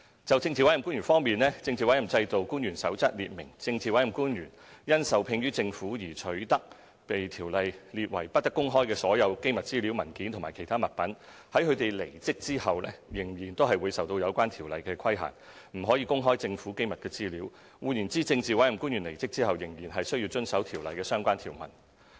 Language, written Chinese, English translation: Cantonese, 就政治委任官員方面，《政治委任制度官員守則》列明，政治委任官員因受聘於政府而取得被《條例》列為不得公開的所有機密資料、文件或其他物品，在他們離職後仍會受有關條例規限，不可公開政府機密資料；換言之，政治委任官員離職後仍須遵守《條例》的相關條文。, With respect to PAOs it is set out in the Code for Officials under the Political Appointment System that all classified information documents or other articles protected against disclosure by the Ordinance which has come into the PAOs possession as a result of their appointment in the Government remain to be covered by the Ordinance after their stepping down from office and may not be disclosed . In other words PAOs should still observe the relevant provisions of the Ordinance after they have stepped down from office